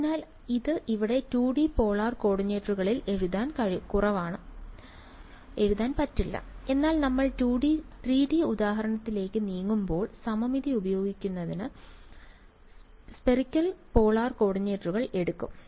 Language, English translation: Malayalam, So, this is less write it over here 2 D polar coordinates, but when we move to the 3D example we will take spherical polar coordinates for using the symmetry; just fine right